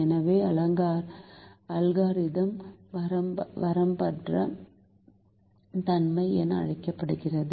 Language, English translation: Tamil, so the algorithm terminates with what is called unboundedness